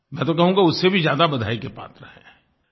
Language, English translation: Hindi, Indeed, I would say they deserve greater praise